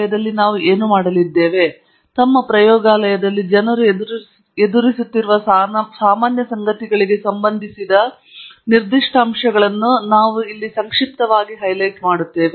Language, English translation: Kannada, And so, what we are going to do here, is briefly just highlight specific aspects of safety associated with some of the common things that people encounter in their labs